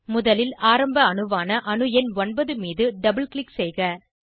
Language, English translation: Tamil, Double click on atom number 9, and then click on atom 4